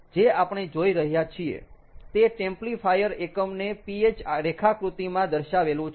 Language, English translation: Gujarati, what we are seeing is the templifier unit, represented on a ph diagram